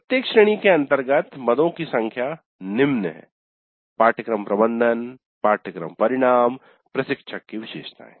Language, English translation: Hindi, Number of items under each category, course management, course outcomes, instructor characteristics like this